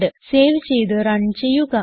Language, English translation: Malayalam, Save it Run